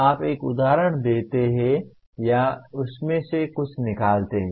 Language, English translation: Hindi, You give an illustration or instantiate something out of that